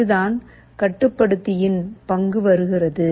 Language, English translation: Tamil, This is where the role of the controller comes in